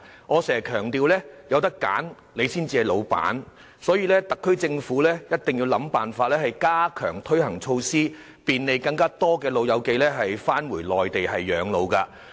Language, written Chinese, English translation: Cantonese, 我經常強調"有得揀，你至係老闆"，所以特區政府必須設法加強推行措施，便利更多長者回內地養老。, I often stress that if you want to be the boss you must have the right to choose and the SAR Government should strive to implement enhanced measures to facilitate more elderly persons to live their retirement life on the Mainland